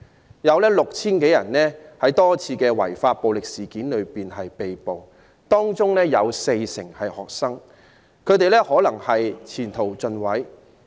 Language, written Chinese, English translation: Cantonese, 至今合共 6,000 多人在多次違法暴力事件中被捕，當中 40% 是學生，他們可能前途盡毀。, So far a total of over 6 000 people have been arrested in various violent and illegal incidents 40 % of whom are students whose future may be completely ruined